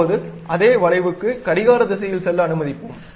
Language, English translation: Tamil, Now, we will, let us go in the clockwise direction for the same arc